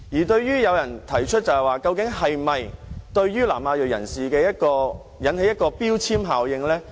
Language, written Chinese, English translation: Cantonese, 對於有人提出，這究竟會否對南亞裔人士造成標籤效應呢？, Some ask whether there will be any stigmatizing effect on ethnic South Asians